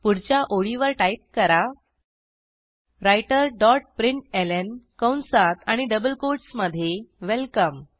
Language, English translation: Marathi, On the next line type writer dot println within brackets and double quotes welcome